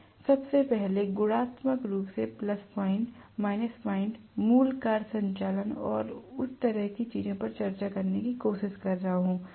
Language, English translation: Hindi, I am trying to first of all discuss qualitatively the plus point, minus point, the basic working operation and things like that